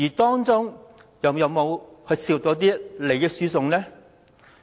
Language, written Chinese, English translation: Cantonese, 當中有沒有涉及利益輸送？, Is any transfer of benefits involved therein?